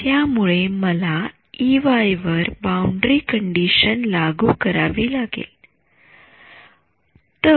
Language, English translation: Marathi, So, I have to impose the boundary condition on E y ok